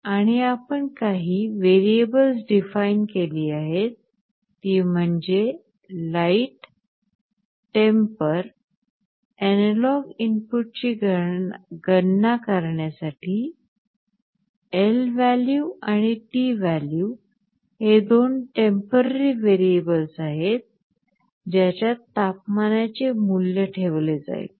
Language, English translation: Marathi, And some variables we have defined light, temper for calculating the analog inputs, and lvalue and tvalue to store temporary temperature value in two variables